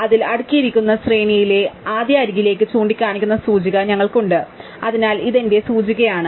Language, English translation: Malayalam, So, we have the index pointing to the first edge in may sorted array, so this is my index